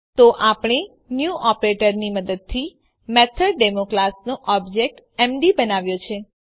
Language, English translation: Gujarati, So we have created an object mdof the class MethodDemo using the New operator